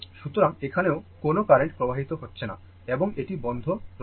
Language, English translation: Bengali, So, no current is flowing here also and this is closed right